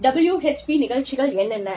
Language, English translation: Tamil, What are WHP programs